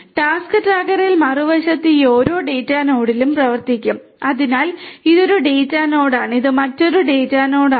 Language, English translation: Malayalam, In the task tracker on the other hand will run at each of these data nodes so, this is one data node, this is another data node